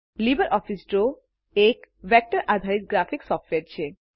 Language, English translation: Gujarati, LibreOffice Draw is a vector based graphics software